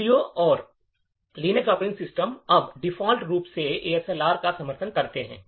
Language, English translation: Hindi, Windows and Linux operating systems now support ASLR by default